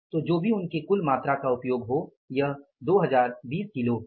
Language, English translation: Hindi, So, whatever the total amount we have used is 2 0 to 0 kg